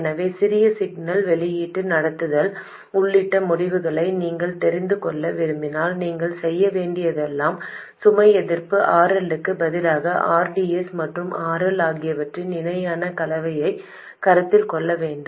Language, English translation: Tamil, So if you want to know the results including the small signal output conductance all you have to do is to consider the parallel combination of RDS and RL instead of the load resistance RL alone